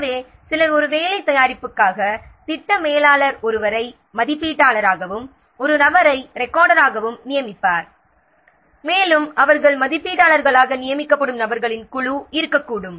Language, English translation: Tamil, So, for a work product, so the project manager will assign one person as the moderator, maybe one person as the recorder, and there can be a group of persons they will be designated as reviewers